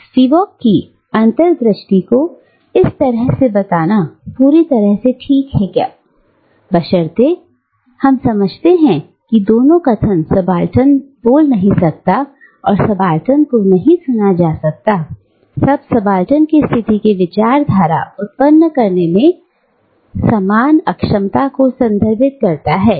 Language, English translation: Hindi, Now, such rephrasing of Spivak's insight, is perfectly alright, provided, we understand that both the statements, "subaltern cannot speak," and "subaltern cannot be heard," refers to the same inability to generate discourse from within the subaltern position